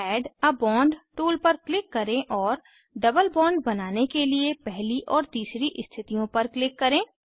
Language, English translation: Hindi, Click on Add a bond tool and click on first and third bonds positions, to form double bonds